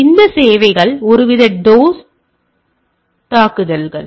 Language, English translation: Tamil, So, the you these services are some sort of a dos attacks right